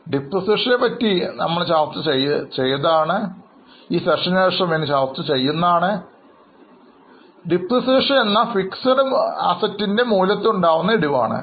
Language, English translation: Malayalam, After this session, we are going to discuss, we are going to have a separate session on depreciation, but as of now, you can understand that depreciation is a fall in the value of fixed assets